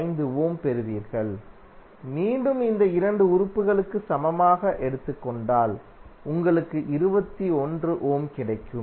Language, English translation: Tamil, 5 ohm and again if you take the equivalent of these 2 elements, you will get 21 ohm